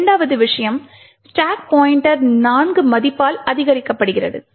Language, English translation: Tamil, Second thing the stack pointer increments by a value of 4